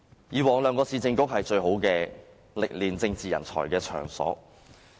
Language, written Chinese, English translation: Cantonese, 以往兩個市政局是訓練政治人才的最好場所。, The previous Urban Council and Regional Council formed the best arena for the training of political talents